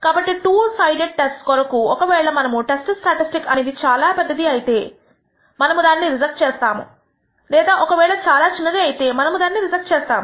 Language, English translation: Telugu, So, for a two sided test, we will say if the test statistic happens to be very large we will reject it or if it is very small we will reject it